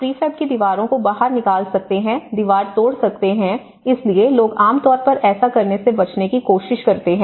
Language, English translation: Hindi, You can break the walls; you can take out the prefab walls, so people generally try to avoid doing that